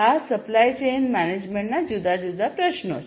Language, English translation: Gujarati, So, these are the different supply chain management issues